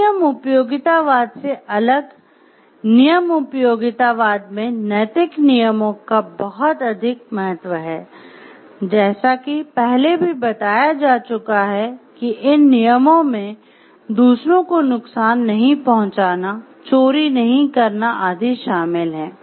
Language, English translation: Hindi, Rule utilitarianism differs them act utilitarianism in holding that moral rules are more important most important, as mentioned previously these rules include do not harm others, do not steal